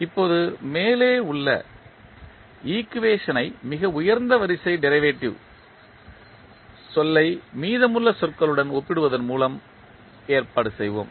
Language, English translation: Tamil, Now, let us arrange the above equation by equating the highest order derivative term to the rest of the terms